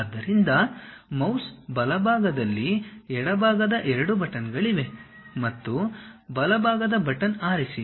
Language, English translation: Kannada, So, for mouse right side, left side 2 buttons are there and pick right side button